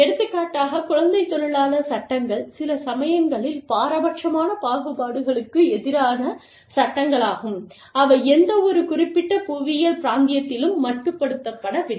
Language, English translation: Tamil, For example, child labor laws, are sometimes, even discriminatory, anti discriminatory laws are, again, you know, they do not, they are not confined, to any particular geographical region